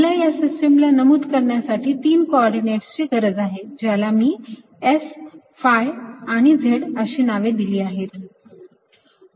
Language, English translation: Marathi, i need three point to three coordinates to specify the system and we have given this name: s, phi and z